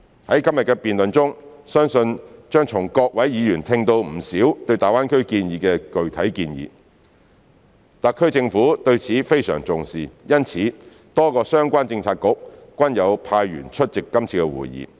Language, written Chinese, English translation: Cantonese, 在今天的辯論中，相信將從各位議員聽到不少對大灣區建設的具體建議，特區政府對此非常重視，因此多個相關政策局均有派員出席今次的會議。, In todays debate I believe we will hear many specific proposals for the development of GBA from Members . Since the SAR Government attaches great importance to this issue my colleagues from various Policy Bureaux have also attended this meeting